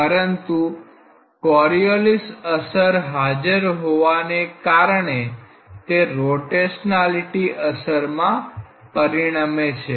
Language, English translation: Gujarati, But, because of the Coriolis effects being present that is converted to a rotationality effect